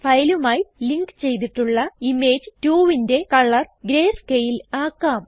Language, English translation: Malayalam, Let us change the color of Image 2, which is linked to the file to greyscale